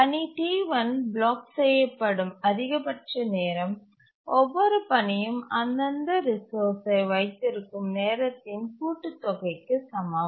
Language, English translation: Tamil, The maximum time the task T1 gets blocked is equal to the time for which each of these holds is the sum of the time for the duration for which each of the task holds their respective resource